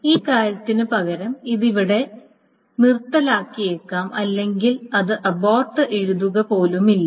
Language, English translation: Malayalam, So this instead this thing, this may be aborted here or it may not even write abort